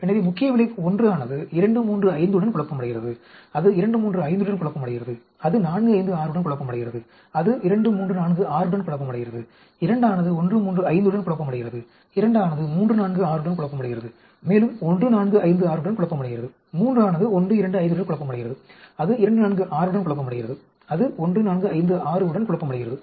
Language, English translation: Tamil, So, the main effect 1 is confounded with 2351 is confounded with 235 which is confounded with 456, which is confounded with 2346; 2 is confounded with 135, 2 is confounded with 346 also confounded with 1456; 3 is confounded with 125 confounded with 246 is confounded with 1456